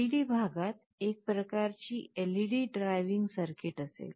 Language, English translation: Marathi, In the LED part there will be some kind of a LED driving circuit